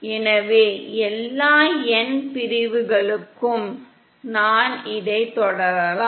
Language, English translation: Tamil, So I can continue like this for all n sections